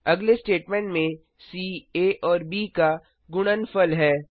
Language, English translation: Hindi, In the next statement, c holds the product of a and b